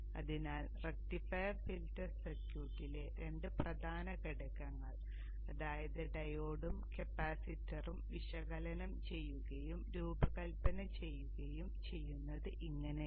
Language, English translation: Malayalam, So this is how you would go about analyzing and designing the two important components in the rectifier filter circuit which is the diode and the capacitor